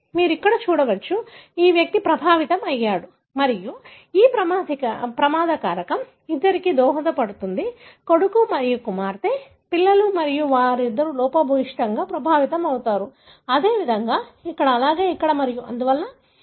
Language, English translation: Telugu, You can see here, this individual is affected and this risk factor is contributed to both the, you know, son and daughter, the children and both of them are defective, affected; likewise here, likewise here and so on, right